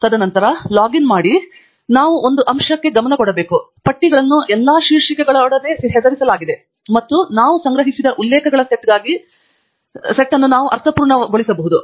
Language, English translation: Kannada, And then, after logging in, we must also pay attention to one aspect the lists are all named with some heading which we can pick to be meaningful for the set of references that we collect